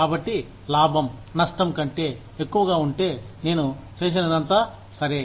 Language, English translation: Telugu, So, if the profit is more than the loss, whatever I have done is, all right